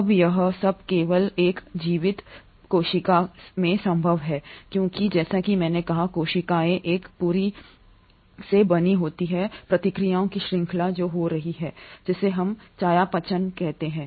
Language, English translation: Hindi, Now, all this is only possible in a living cell because, as I said, cells are made up of a whole series of reactions which are taking place, which is what we call as metabolism